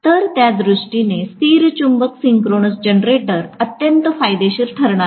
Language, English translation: Marathi, So, permanent magnet synchronous generators are very very advantageous in that sense